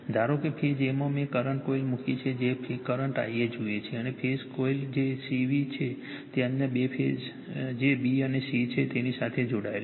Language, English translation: Gujarati, Suppose in phase a I have put the current coil , which sees the current I a , and the phasor coil that is C V , it is connected to your what you call that other other two phases that is b and c right